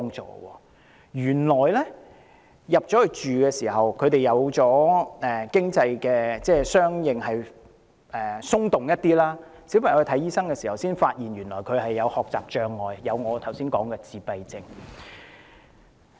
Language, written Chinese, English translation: Cantonese, 在遷進新居後，他們的經濟相對沒那麼緊絀，小朋友向醫生求診才發現他患有我剛才提及的學習障礙及自閉症。, After moving into their new home their financial situation is relatively not so tight . After consultations with a doctor it was found that the child concerned had learning disabilities and autism as I mentioned just now